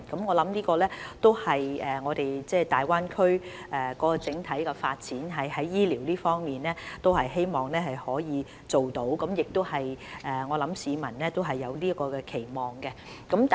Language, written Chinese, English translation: Cantonese, 我相信在大灣區的整體發展中，就醫療方面，這是我們希望可以達到的效果，而市民對此也有期望。, I believe this is the desired outcome we wish to achieve for the part of health care under the overall development of the Greater Bay Area and this also meets the expectation of the people